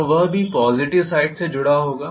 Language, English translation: Hindi, So that will also be connected positive side